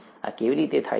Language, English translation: Gujarati, How is this done